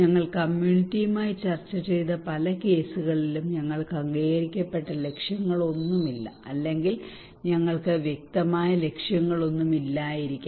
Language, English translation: Malayalam, Many cases that we discussed with the community but we do not have any agreed objectives, or maybe we do not have any clear objectives